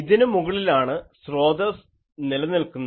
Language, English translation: Malayalam, The source is existing over this